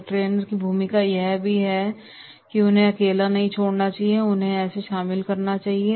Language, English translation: Hindi, So role of a trainer will be, trainer should not leave them alone right, they should be involved